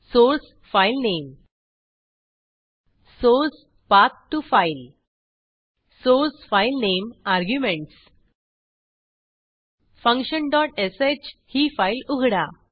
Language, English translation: Marathi, source filename source Path to file souce filename arguments Let me open a file function dot sh